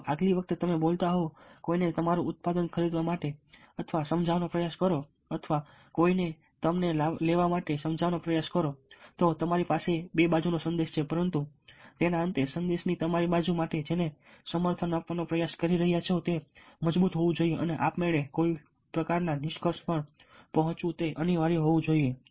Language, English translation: Gujarati, ok, so if next time, if you are speaking trying to persuade somebody to buy your product, persuade somebody to take you, then you have a two sided message, but at the end of it, your side of the message, the one which you are trying to endorse, should be stronger and automatically lift to some kind of a conclusion